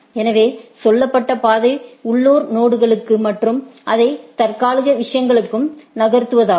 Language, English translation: Tamil, So, said route to the local node and move it to the tentative things